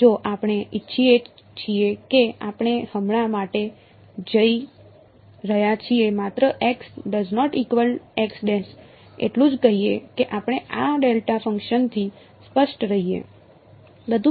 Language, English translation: Gujarati, And if we want we are going to for now just say x not equal to x prime just so that we stay clear of this delta function